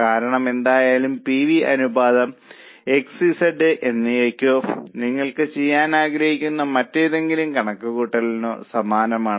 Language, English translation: Malayalam, Because anyway, PV ratio is same for X and Z or any other calculation you would like to do